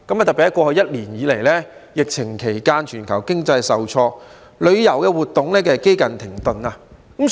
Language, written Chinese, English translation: Cantonese, 在過去一年以來，疫情期間，全球經濟受挫，旅遊活動幾近停頓。, In the past year during the epidemic the whole world suffered an economic setback and tourism has almost come to a standstill